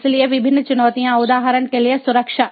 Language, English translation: Hindi, so the different challenges, for example, security